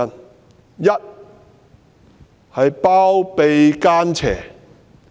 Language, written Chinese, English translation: Cantonese, 第一，她包庇奸邪。, First she harbours evildoers